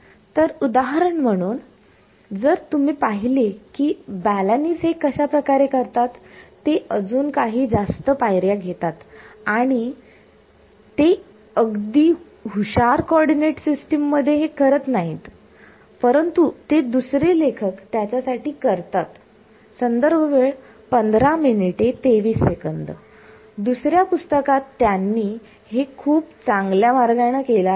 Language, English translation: Marathi, So for example, if you look at the way Balanis does it, he takes a few more steps because it is doing it in a not in the smartest coordinate system, but the other author for this is , the other book he does it in this nice way